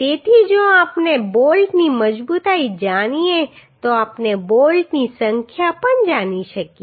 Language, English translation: Gujarati, So if we know the strength of the bolt then we can find out the number of bolts also